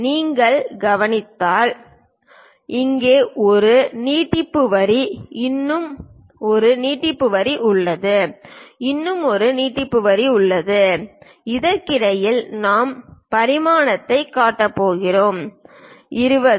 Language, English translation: Tamil, If you are noticing here extension line here there is one more extension line there is one more extension line; in between that we are going to show dimension 20